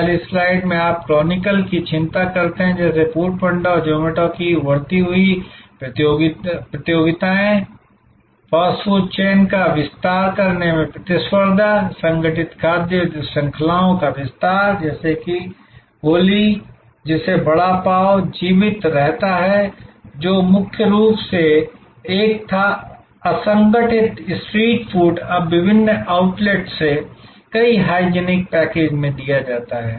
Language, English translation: Hindi, In the first slide, you tabulate you chronicle the key concerns, like these emerging competitions from Food Panda and Zomato, the competition from expanding fast food chains, expanding organized food chains like a chain called goli, which survives vada pav, which was mainly an unorganized street food now delivered in multiple hygienic packages from various outlets